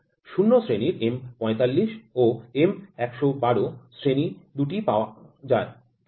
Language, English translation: Bengali, 2 sets of M 45 grade 0 and M 112 grade are available, ok